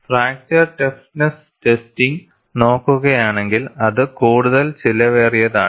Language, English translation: Malayalam, If you come to fracture toughness testing is much more expensive